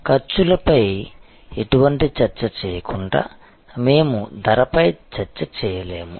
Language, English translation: Telugu, We cannot have a discussion on pricing without having any discussion on costs